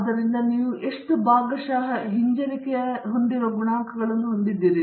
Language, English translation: Kannada, So, how many partial regression coefficients you have